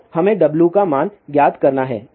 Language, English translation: Hindi, So, we have to find the value of W